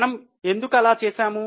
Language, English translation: Telugu, Why they would have done that